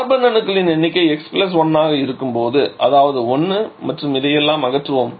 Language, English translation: Tamil, So, number of carbon will be x + 1 that is 1 and let us remove all this